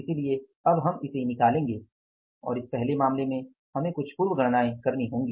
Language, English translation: Hindi, And in this first case, we will have to do some pre calculations